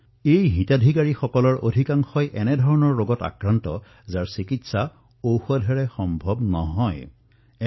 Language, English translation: Assamese, And most of these beneficiaries were suffering from diseases which could not be treated with standard medicines